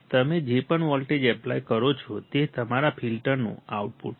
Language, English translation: Gujarati, Whatever voltage you apply, it is the output of your filter